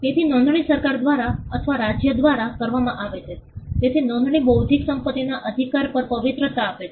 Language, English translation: Gujarati, So, registration is done by the government by or by the state, so registration confers sanctity over the intellectual property right